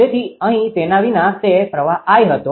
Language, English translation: Gujarati, So, we without we here it was current I